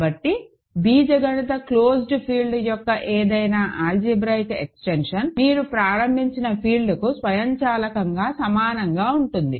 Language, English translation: Telugu, So, any algebraic extension of an algebraically closed field is automatically equal to the field that you started with